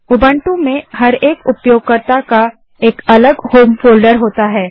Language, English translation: Hindi, Every user has a unique home folder in Ubuntu